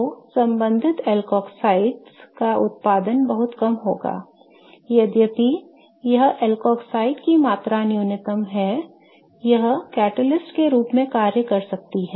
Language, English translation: Hindi, Although it is minimal, the amount of the alcoxide that is formed even a slight or a very small amount can act as a catalyst